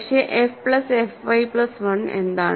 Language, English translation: Malayalam, But, what is f plus f y plus 1